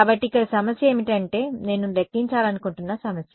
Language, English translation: Telugu, So, the problem over here this is the problem that I want to calculate